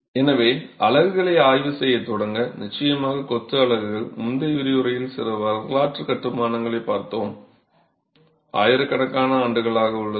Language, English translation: Tamil, So, to start examining units, of course masonry units, you've seen some historical constructions in the previous lecture has been around for millennia